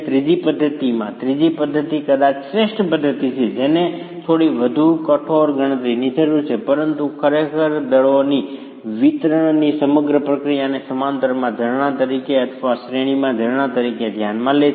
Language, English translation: Gujarati, In the third method, the third method is probably the best method which requires a little more rigorous calculation but really considers the whole process of distribution of forces by considering them as springs in parallel or springs in series